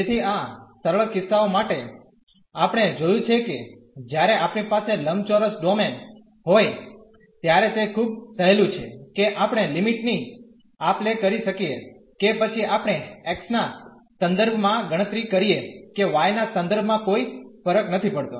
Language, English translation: Gujarati, So, for these simple cases we have seen when we have the rectangular domain it is much easier that we can interchange the limits whether we compute first with respect to x or with respect to y it does not matter